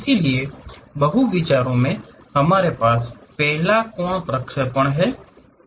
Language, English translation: Hindi, So, in multi views, we have first angle projections